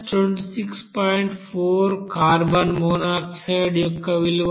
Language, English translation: Telugu, 4 that is for carbon monoxide